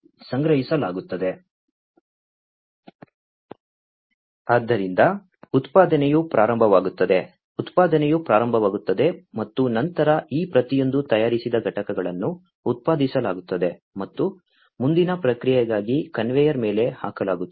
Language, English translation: Kannada, So, the production starts, manufacturing starts, and then each of these manufactured units are going to be produced, and put on the conveyor, for further processing